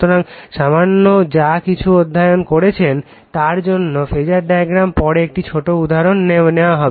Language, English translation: Bengali, So, just to whateveRLittle bit you have studied we will come to phasor diagram other thing later you take a small example